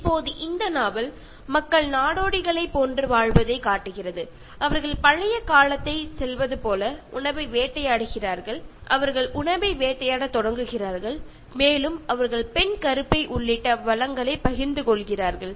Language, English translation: Tamil, Now in this novel, it shows people living a nomad like existence, they hunt for their food like they go back to the old times and they start hunting for the food and they share resources including the female womb